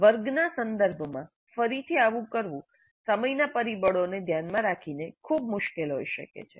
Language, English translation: Gujarati, Again, doing this in a classroom context may be very difficult given the time factors